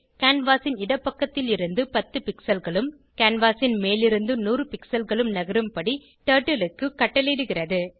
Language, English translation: Tamil, go 10,100 commands Turtle to go 10 pixels from left of canvas and 100 pixels from top of canvas